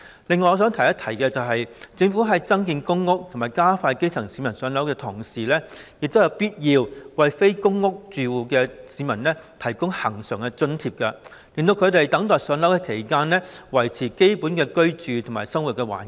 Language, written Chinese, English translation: Cantonese, 此外，我想提出一點，即政府在增建公屋及加快讓基層市民"上樓"之餘，亦應該為非公屋住戶的市民提供恆常津貼，讓他們在等待"上樓"期間，可以維持基本的居住和生活環境。, In addition I wish to raise one point that is even as the Government ramps up public housing production and speeds up the allocation of public housing to the grassroots it should also provide regular subsidies to people who are not public housing residents to enable them to maintain their basic living conditions while waiting to move into public housing